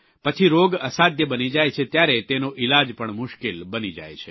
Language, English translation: Gujarati, Later when it becomes incurable its treatment is very difficult